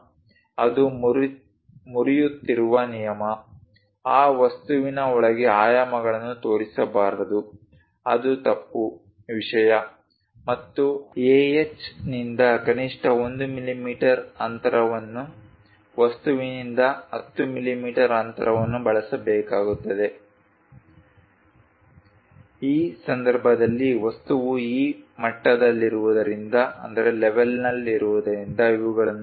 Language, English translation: Kannada, The rule it is breaking, one should not show dimensions inside of that object that is a wrong thing and minimum 1 millimeter gap from the ah 10 millimeter gap one has to use from the object, in this case these are followed because object is in this level